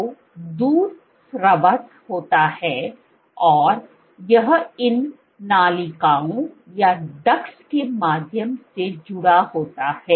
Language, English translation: Hindi, So, milk is secreted and it is connected via these ducts